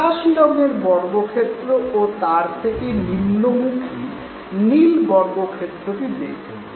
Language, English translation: Bengali, Look at the sky blue square and the blue square dropping out of it